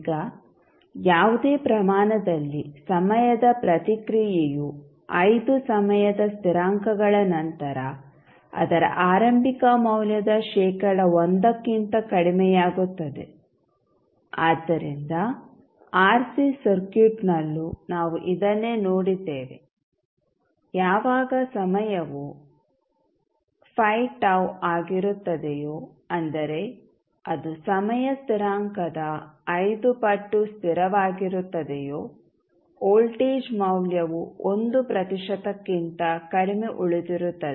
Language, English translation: Kannada, Now, at any rate the response decays to less than 1 percent of its initial value after 5 time constants so, the same we saw in case of RC circuit also, when the time is 5 tau that is 5 times of the time constant the value of voltage was left with less than 1 percent